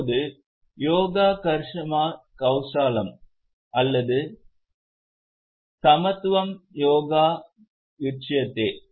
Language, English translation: Tamil, Now, Yoga, Karmasu Kausalam, or Samatvam Yoga Uchata